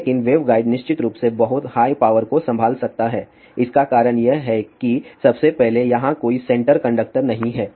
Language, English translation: Hindi, But waveguide of course, can handle very high power the reason for that is first of all there is a no canter conductor